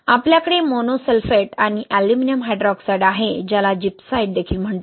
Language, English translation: Marathi, You have mono sulphate and aluminum hydroxide, also called gypsite